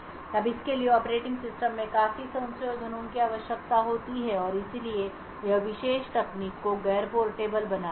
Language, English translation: Hindi, Now this would require considerable of modifications in the operating system and therefore also make the particular technique non portable